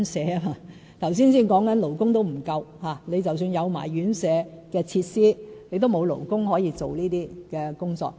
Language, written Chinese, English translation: Cantonese, 剛剛才提及連勞工也不足，即使有院舍設施，也沒有勞工可以從事這些工作。, Besides as I have just mentioned even labour is in short supply . In other words even if residential care premises and facilities are available we may not have any workers to provide care services